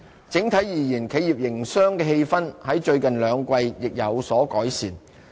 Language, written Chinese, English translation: Cantonese, 整體而言，企業營商的氣氛在最近兩季亦有所改善。, In general business sentiment also improved in the last two quarters